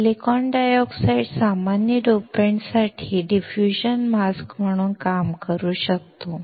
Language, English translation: Marathi, The silicon dioxide can act as a diffusion mask for common dopants